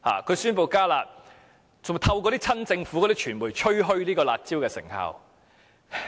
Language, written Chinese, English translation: Cantonese, 他宣布"加辣"，更透過親政府的傳媒吹噓"辣招"的成效。, He announced the enhanced curb measure and even bragged about the effectiveness of the curb measures through the pro - Government media